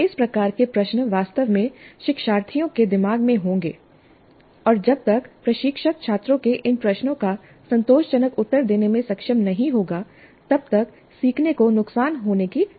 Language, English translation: Hindi, These kind of questions would be really at the back of the mind of the learners and unless the instructor is able to satisfactorily answer these queries of the students, learning is likely to suffer